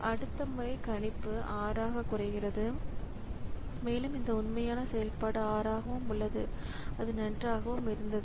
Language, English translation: Tamil, So, next time the prediction comes down to 6 and this actual execution is also 6 so it was fine